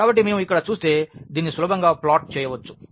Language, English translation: Telugu, So, if we look at here we can easily plot this